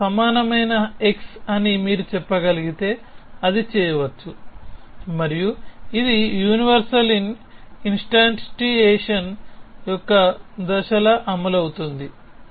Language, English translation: Telugu, If you can simply say x equal to you can do it and then this will become like the step of universal instantiation